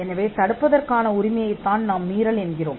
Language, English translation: Tamil, So, your right to stop or is what we call an infringement